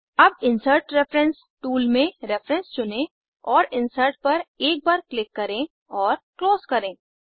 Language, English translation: Hindi, Now choose Reference in the Insert reference tool list and click on Insert once and close